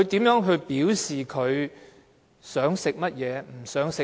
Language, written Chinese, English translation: Cantonese, 如何表示自己想吃甚麼，不想吃甚麼？, How did he express what he wanted or not wanted to eat?